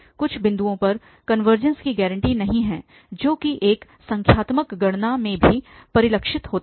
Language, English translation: Hindi, At some points and hence the convergence is not guaranteed which is also reflected in this a numerical calculation